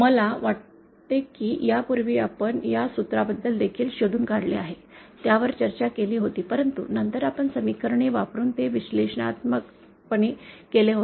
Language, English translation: Marathi, I think we had also found out, discussed this formula earlier but then at that time we had done it analytically using equations